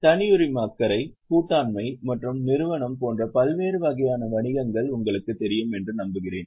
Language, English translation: Tamil, I hope you know the different forms of business, like a proprietary concern, partnership and company